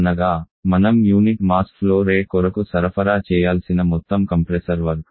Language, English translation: Telugu, That is the amount of compressor work that you have to supply by unit mass flow rate